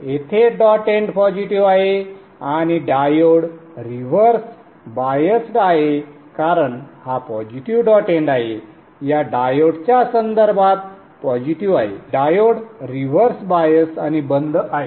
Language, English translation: Marathi, The dot end is positive here and the diode is reversed biased because this is positive dot end here is positive with respect to this, diode is reversed and off